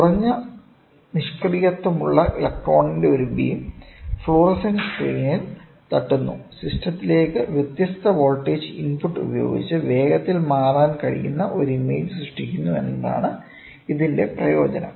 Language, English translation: Malayalam, Its advantage is that a beam of electron with low inertial strikes the fluorescent screen, generates an image that can rapidly change with varying voltage input to the system